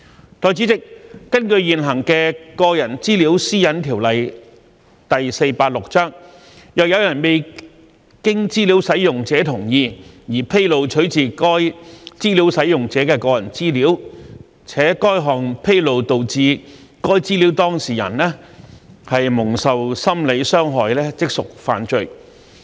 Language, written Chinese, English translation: Cantonese, 代理主席，根據現行的《個人資料條例》，若有人未經資料使用者同意而披露取自該資料使用者的個人資料，且該項披露導致該資料當事人蒙受心理傷害，即屬犯罪。, 486 a person commits an offence if heshe discloses any personal data of a data subject obtained from a data user without the data users consent and the disclosure causes psychological harm to the data subject . Still there has been a surge in doxxing activities in recent years especially since June 2019 when disturbances arising from the opposition to the proposed legislative amendments arose